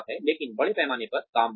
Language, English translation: Hindi, But, layoffs in mass